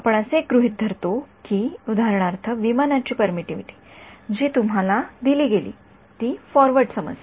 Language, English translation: Marathi, We assume that for example, the permittivity of an aircraft that was given to you that is the forward problem